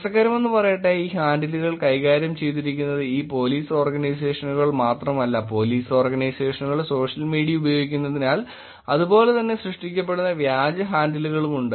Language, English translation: Malayalam, Interestingly, there is not only that these handles have been managed by these Police Organizations, there are also fake handles that are being generated because of using of social media by Police Organizations also